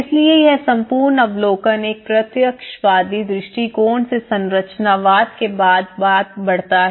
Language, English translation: Hindi, So this whole observation grows from a positivist approach to the post structuralism